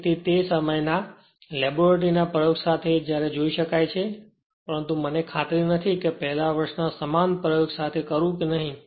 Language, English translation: Gujarati, So, when we will do the laboratory experiment at that time you can see this, but I am not sure whether you will do the same experiment of first year or not right